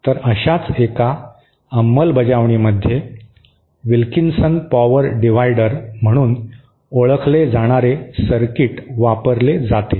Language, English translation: Marathi, So, one such implementation is using a circuit known as Wilkinson power divider